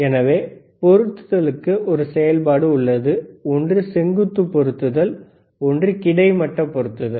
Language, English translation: Tamil, So, there is a function for positioning right, one is vertical positioning, one is horizontal positioning